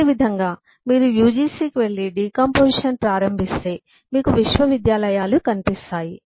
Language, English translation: Telugu, similarly, if you go to uGu and start decomposing that, you will find universities